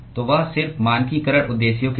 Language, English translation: Hindi, So, that just for standardization purposes